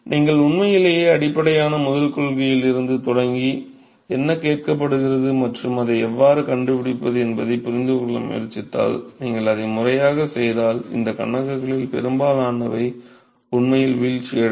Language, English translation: Tamil, So, really if you start from really basic first principle and try to understand what is being asked and how to go about finding it, most of these problems will actually fall out if you do it systematically